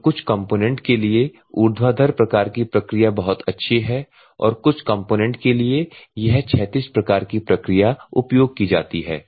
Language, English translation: Hindi, So, some of the components are very good for the vertical some of the components are used for this horizontal